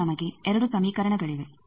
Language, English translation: Kannada, Now, we have 2 equations